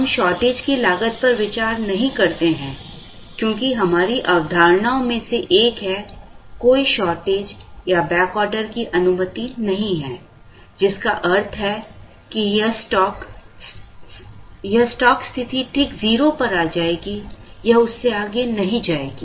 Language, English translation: Hindi, We do not consider shortage cost, because one of the assumptions is, no shortage or back order is allowed which means that, this stock position will come right up to 0, it will not go beyond that